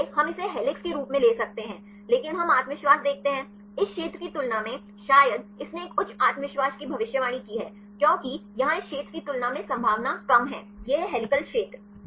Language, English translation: Hindi, So, we can take this as helix, but we see the confidence; this maybe predicted a higher confidence than this region because here the probability is less compared with this region; this helical region